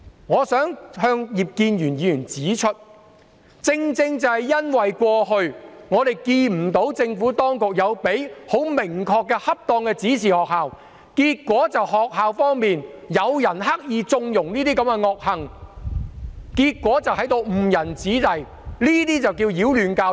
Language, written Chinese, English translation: Cantonese, 我想向葉建源議員指出，正正因為我們過去看不到政府當局曾向學校提供明確及適當的指示，以致有人在學校刻意縱容這些惡行，結果誤人子弟，這些才是擾亂教育。, I would like to point out to Mr IP Kin - yuen that it is precisely because we have not seen the Administration provide specific and appropriate directions to schools in the past hence some people deliberately connive at these evil acts in schools and lead young people astray as a result . These are indeed disruptions to education